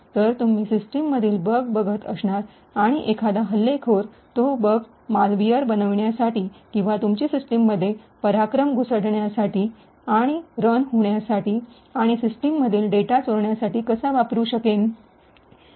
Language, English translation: Marathi, So, you will be looking at bugs in the system, and how an attacker could utilise these bugs to create malware or create exploits that could be introduced into your system and then could run and steal data in your system